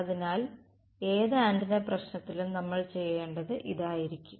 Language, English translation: Malayalam, So, in any antenna problem this is going to be what we will do